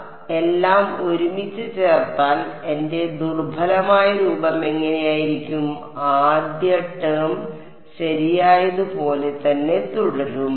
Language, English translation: Malayalam, So, putting it all together what does my weak form look like, first term will remain as is right